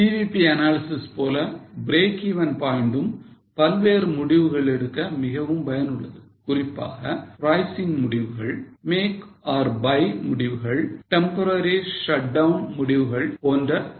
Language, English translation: Tamil, Now, break even point is also useful just like CVP analysis for various decisions, particularly for pricing decisions, make or buy decision, temporary shutdown decision and so on